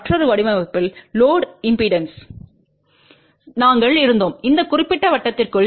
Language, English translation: Tamil, In the another design we had to the load impedance inside this particular circle